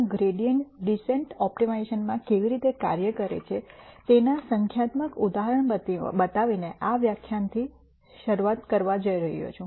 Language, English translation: Gujarati, I am going to start out this lecture by showing you a numerical example of how gradient descent works in optimization